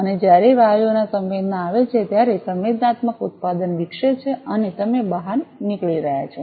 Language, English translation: Gujarati, And when the gases senses, the sensing product develops, and you are driving get out